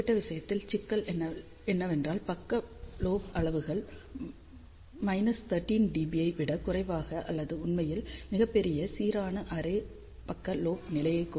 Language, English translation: Tamil, For this particular case the problem is that side lobe levels are less than minus 13 dB or so in fact, in fact even for a very large uniform array side lobe level can be at best 13